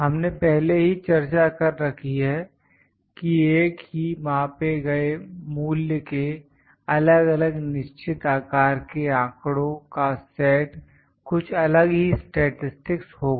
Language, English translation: Hindi, We have already discussed how different finite sized data sets of the same measured value would be somewhat different statistics